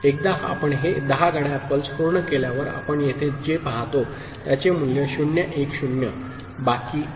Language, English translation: Marathi, Once we complete this 10 clock pulses right, the value over here what we see is 0 1 0 that is the remainder, ok